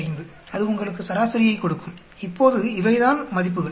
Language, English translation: Tamil, 5, that gives you the mean, now these are the values